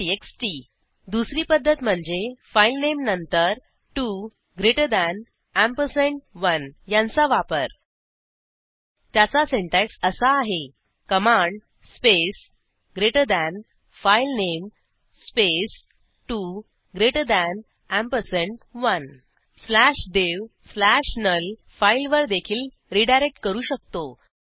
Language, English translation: Marathi, txt Another method is to use 2 greater than ampersand 1 after the filename The syntax is command space greater than filename space 2 greater than ampersand 1 We can also redirect to slash dev slash null (/dev/null) file